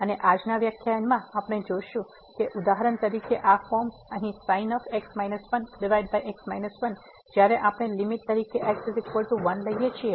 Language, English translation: Gujarati, And, in today’s lecture we will see that for example, this form here minus minus when we take the limit as goes to